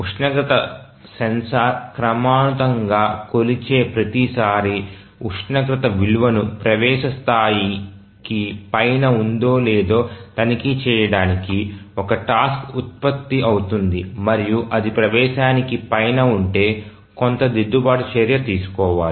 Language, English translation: Telugu, So each time the temperature sensor measures it and it periodically measures a task is generated to check the temperature value whether it is above the threshold and then if it is above the threshold then take some corrective action